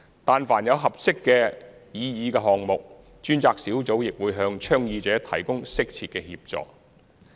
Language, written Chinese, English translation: Cantonese, 但凡有合適的擬議項目，專責小組亦會向倡議者提供適切的協助。, If a proposed project is found suitable the task force will provide appropriate assistance to the proponent